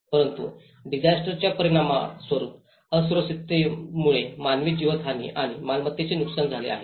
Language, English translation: Marathi, But whereas, the vulnerabilities as a result of disaster that is where even loss of human life and property damage